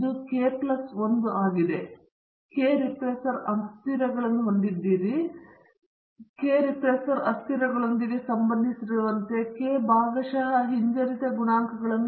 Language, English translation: Kannada, It is k plus 1; we have k regressor variables and we have hence k partial regression coefficients associated with these k regressor variables